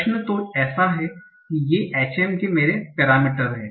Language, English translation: Hindi, So now the question is, so these are my parameters of the HM